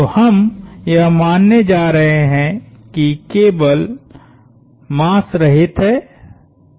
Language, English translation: Hindi, So, we go are going to assume cable is massless